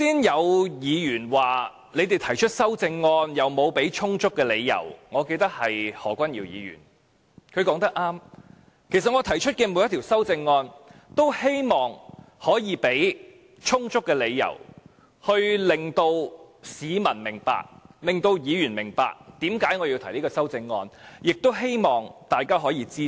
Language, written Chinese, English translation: Cantonese, 有議員剛才指我們提出的修正案沒有提供充足理由——我記得是何君堯議員——他說得對，其實我提出的每一項修正案均希望可以提供充足的理由，令市民和議員明白，為何我要提出這項修正案，亦希望大家可以支持。, Some Member I remember the Member is Dr Junius HO claimed that we did not provide sufficient support for our amendments . He is right . I also want to provide sufficient support for each of my amendments so that the public and Members will understand why I need to propose the amendments and thus support them